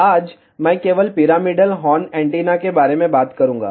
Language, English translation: Hindi, Today, I will talk only about pyramidal horn antenna